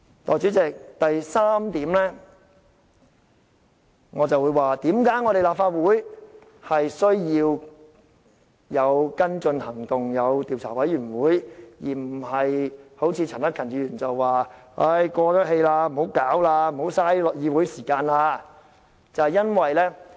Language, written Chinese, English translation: Cantonese, 代理主席，第三，我會指出為何立法會需要有跟進行動，成立調查委員會，而不是好像陳克勤議員所說事件已過氣，不要浪費議會時間處理這件事。, Deputy President third despite Mr CHAN Hak - kans description of the issue as outdated and the dealing of it a waste of time for the Council I will explain why the Legislative Council has to set up an investigation committee to pursue the issue